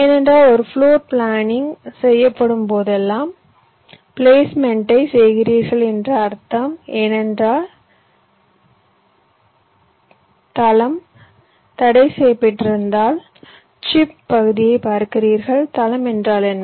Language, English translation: Tamil, because whenever do a floor planning, it means you are doing placement, because your floor is restricted, means you see your chip area